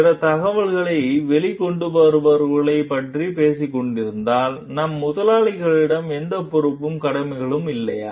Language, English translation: Tamil, Then if we are talking of whistle blowing, then don t we have any responsibility, obligations towards our employers